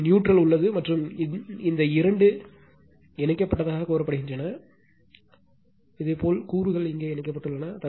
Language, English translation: Tamil, Here also neutral is there and this two are say connected, you know elements are connected here